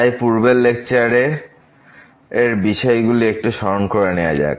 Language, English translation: Bengali, So, let me just recall from the previous lecture